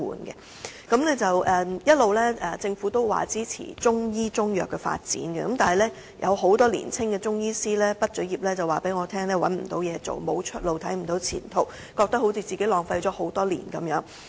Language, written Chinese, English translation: Cantonese, 政府一直表示支持中醫及中藥的發展，但很多年輕中醫師告訴我畢業後找不到工作，沒有出路，看不到前途，感覺自己浪費了多年時間。, All along the Government has kept saying that it supports the development of Chinese medicine services and Chinese medicine . But many young Chinese medicine practitioners have told me that they have no way out as they cannot find a job after graduation and are unable to see any career prospects feeling that they have wasted many years